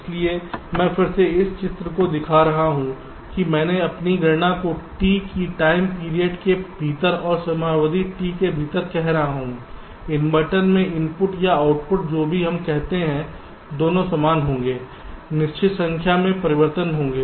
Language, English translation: Hindi, so i am again showing that picture, that i am concentrating my calculation within a time period of t, and within the time period t, the input or the output [vocalized noise], whatever we call in inverter, both will be the same will be changing certain number of times